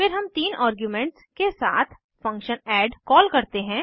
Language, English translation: Hindi, Then we call the function add with three arguments